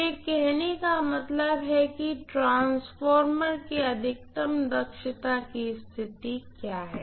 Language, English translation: Hindi, So this is what we mean by saying, what is the maximum efficiency condition of a transformer